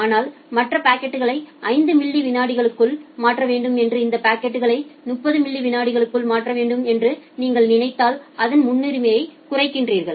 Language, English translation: Tamil, But if you see that the other packets need to be transferred in 5 millisecond and this packet need to be transferred into 30 millisecond then you reduce its priority